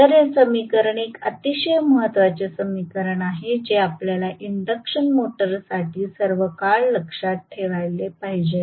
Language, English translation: Marathi, So, this equation is a very, very important equation which we should remember all the time for the induction motor